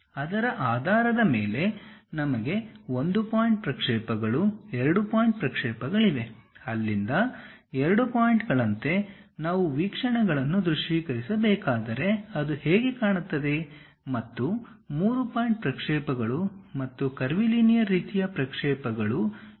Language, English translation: Kannada, Based on that we have 1 point projections, 2 point projections; like 2 points from there, if we have visualizing the views, how it looks like, and 3 point projections and curvilinear kind of projections we have